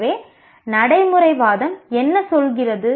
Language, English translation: Tamil, So, what does pragmatism say